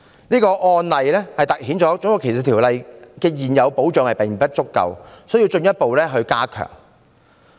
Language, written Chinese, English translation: Cantonese, 這個案例凸顯《種族歧視條例》的現有保障並不足夠，需要進一步加強。, This case highlights that the protection under the existing RDO is inadequate and it needs to be further enhanced